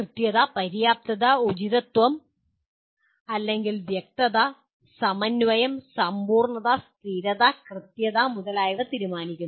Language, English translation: Malayalam, Judging the accuracy, adequacy, appropriateness or clarity, cohesiveness, completeness, consistency, correctness etc